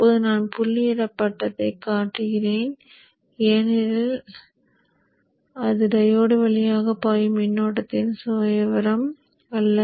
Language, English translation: Tamil, Now I've shown the dotted because that is not the way that is not the profile of the current flowing through the diune